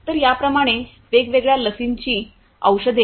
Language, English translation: Marathi, So, like this there are different vaccines medicines etc